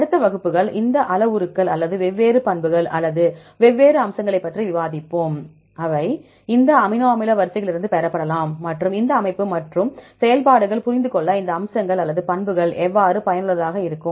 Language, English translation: Tamil, Next classes, we will discuss about the different parameters or different properties or different features, which can be derived from this amino acid sequences and how these features or the properties will be useful to understand this structure and function